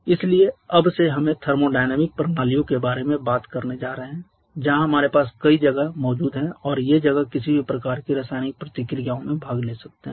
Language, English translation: Hindi, So, from now onwards we are going to talk about this is thermodynamic systems where we have multiple spaces present and the spaces can participate in some kind of chemical reaction